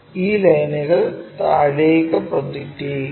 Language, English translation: Malayalam, Now, project these lines all the way down